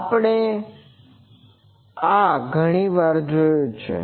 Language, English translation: Gujarati, This we have seen many times